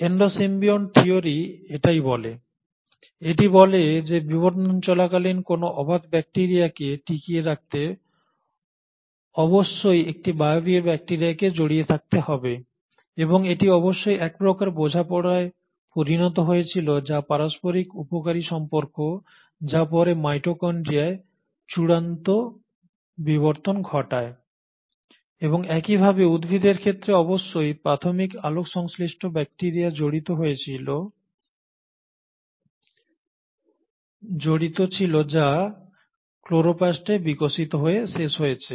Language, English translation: Bengali, So this is what the Endo symbiont theory says, it says that in order to survive an anaerobic bacteria during the course of evolution must have engulfed an aerobic bacteria and this must have led to some sort of a symbiosis which is mutually beneficial relationship which will have then lead to final evolution of the mitochondria and similarly in case of plants there must have been an engulfment of an early photosynthetic bacteria which would have then ended up evolving into chloroplast